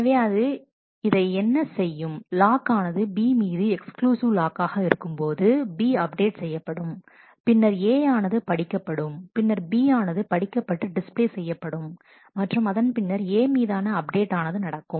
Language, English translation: Tamil, So, what it does this is where the lock exclusive lock on B is held and B is updated, then A is read then B is read display is done and then this update on a has happened